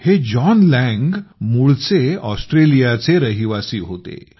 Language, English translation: Marathi, John Lang was originally a resident of Australia